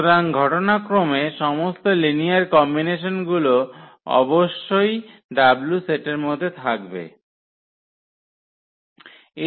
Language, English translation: Bengali, So, eventually all the linear combinations must be there in this set w; that means, this will also have i span S